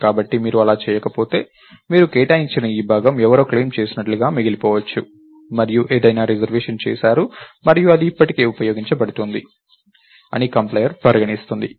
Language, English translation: Telugu, So, if you don't if you don't do that what might happen is that this chunk that you allocated may remain as oh somebody claimed it and somebody made a reservation and its still being used, thats how the complier would treat it